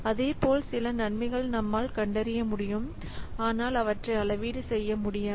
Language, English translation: Tamil, Similarly, some benefits they can be identified but not they can be easily quantified